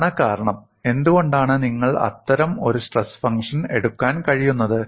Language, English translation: Malayalam, So that is the reason, why you are able to take that kind of a stress function